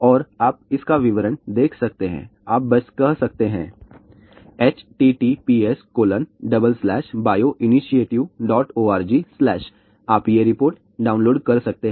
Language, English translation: Hindi, And you can see the details of this you can just simply say www dot bio initiative dot org , you can download these report